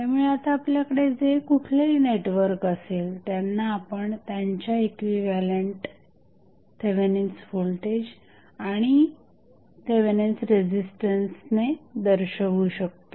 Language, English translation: Marathi, So, now, whatever the network we have, we can represent with its equivalent Thevenin voltage and Thevenin resistance